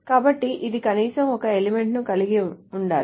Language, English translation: Telugu, So there must be at least one element such that this holds